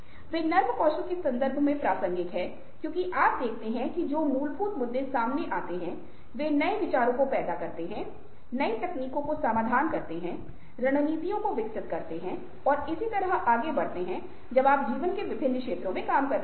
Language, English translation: Hindi, they are relevant in the context of soft skills because you see that one of the fundamental issues which comes up is generating new ideas, developing new technologies, coming up with new solutions, ah strategies and so on and so forth in various walks of life when you are working, and much of these require creativity skills